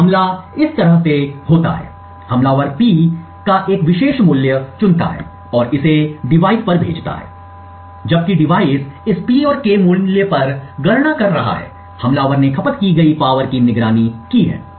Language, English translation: Hindi, So, the attack goes like this, the attacker chooses a particular value of P and sends it to the device and while the device is computing on this P and K value, the attacker has monitored the power consumed